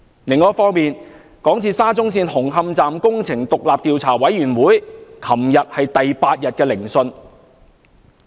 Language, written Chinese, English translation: Cantonese, 另一方面，港鐵沙中線紅磡站工程獨立調查委員會昨天進行第八天聆訊。, Meanwhile the Commission inquiring into the construction works of the SCL Hung Hom Station conducted its eighth - day hearing yesterday